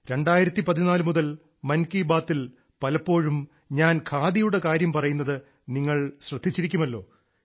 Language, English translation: Malayalam, You must have noticed that year 2014 onwards, we often touch upon Khadi in Mann ki Baat